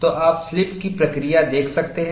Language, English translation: Hindi, So, you could see that slipping occurs like this